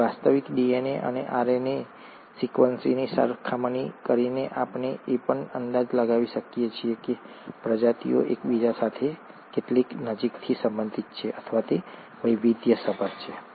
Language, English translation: Gujarati, So by comparing the actual DNA and RNA sequences, we can also estimate how closely the species are inter related, or they have diversified